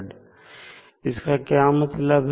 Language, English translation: Hindi, Now, what does it mean